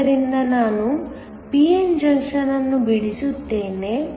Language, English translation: Kannada, So, let me draw the p n junction